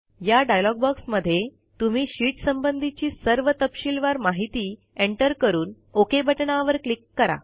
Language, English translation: Marathi, You can enter the sheet details in the dialog box and then click on the OK button